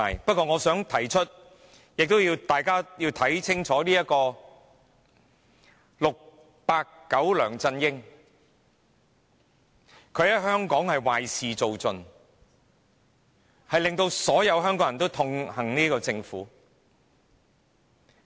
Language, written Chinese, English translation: Cantonese, 不過，我想提出，大家要看清楚 "689" 梁振英，他在香港壞事做盡，令所有香港人痛恨這個政府。, I would like to remind Members to see clearly 689 LEUNG Chun - ying who did every evil deed and made all Hong Kong people hate the Government